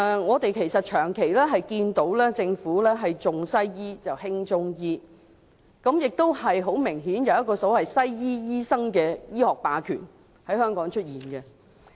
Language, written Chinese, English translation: Cantonese, 我們長期看到政府是"重西醫、輕中醫"，而且很明顯，在香港亦存在西醫醫生的醫學霸權。, We have all along seen that the Government stresses Western medicine to the neglect of Chinese medicine and obviously there is medical hegemony of Western medical practitioners in Hong Kong